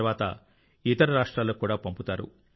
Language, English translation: Telugu, After this it is also sent to other states